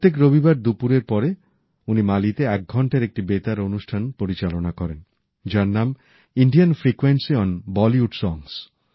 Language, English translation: Bengali, Every Sunday afternoon, he presents an hour long radio program in Mali entitled 'Indian frequency on Bollywood songs